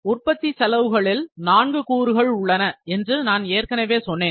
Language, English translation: Tamil, In manufacturing costs, as I said they are four components